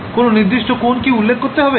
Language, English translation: Bengali, Did I have to specify a particular angle